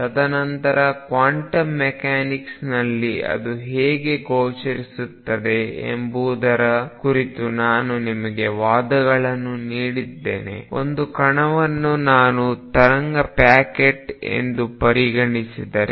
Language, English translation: Kannada, And then I gave you arguments about how it appears in quantum mechanics, one was that if I consider a particle as a wave packet